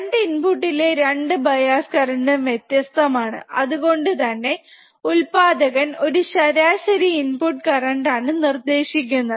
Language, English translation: Malayalam, the 2 input 2 bias currents are never same, hence the manufacturer specifies the average input bias current, right